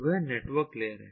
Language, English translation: Hindi, that is the network layer